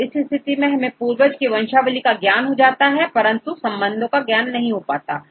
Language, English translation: Hindi, So, in this case we know the ancestor, but the lineage we know, but we do not know the relationship